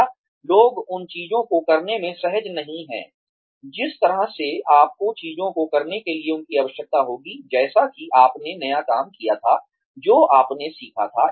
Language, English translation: Hindi, Or, people are not comfortable doing things the way you would need them to do things, after you had done the new thing, that you had learnt